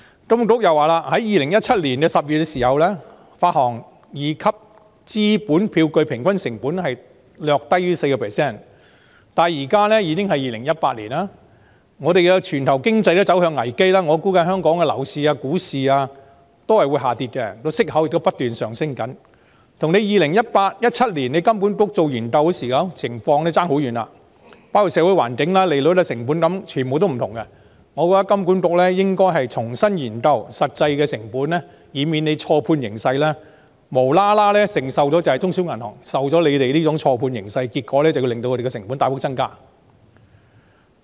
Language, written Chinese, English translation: Cantonese, 金管局指出 ，2017 年10月時發行二級資本票據平均成本略低於 4%， 但現時已是2018年，全球經濟亦走向危機，我估計香港的樓市、股市將會下跌，息口亦不斷攀升，這情況跟2017年金管局進行研究時相去甚遠，包括社會環境、利率、成本等，已大不相同，我覺得金管局應該重新研究實際的成本，以免錯判形勢，無端要中小銀行承受這錯判的影響，令他們的成本大幅增加。, I predict that Hong Kongs property and stock markets will fall and the interest rate will keep rising . This situation is a far cry from that when HKMA conducted the study in 2017 in terms of social environment interest rate cost and so on . I think HKMA should re - examine the actual costs so as to avoid misjudging the situation and thus unjustifiably causing small and medium banks to bear the brunt of a significant increase in their costs